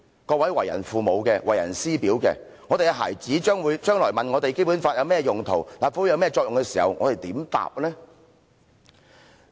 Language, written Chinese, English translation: Cantonese, 各位為人父母的，為人師表的，如果我們孩子將來問我們《基本法》有甚麼用途，立法會有甚麼作用的時候，我們如何回答呢？, Honourable Members who are parents or teachers what should we say if our children ask us questions about the purpose of the Basic Law and the functions of LegCo in the future?